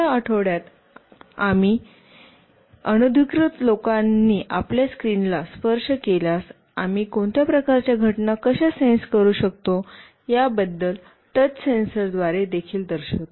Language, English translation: Marathi, And in this week, we will also show you through a touch sensor, how we can sense some kind of events, if an unwanted people touches your screen